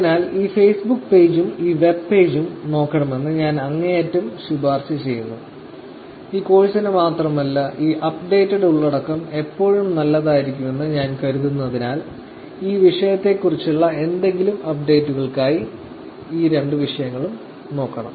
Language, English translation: Malayalam, So, I highly recommend you to look at these two, Facebook page and this web page for any updates on this topics around if not only for this course, beyond this course also because I think it will always be good to have updated content or the latest contents on this topics